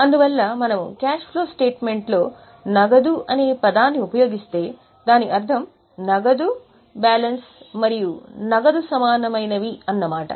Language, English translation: Telugu, So, whenever in cash flow statement henceforth we will use the term cash, it includes balances of cash plus cash equivalent